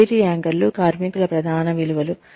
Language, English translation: Telugu, Career anchors are, core values of workers